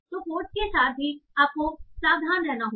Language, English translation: Hindi, So the codes also you should have to be careful with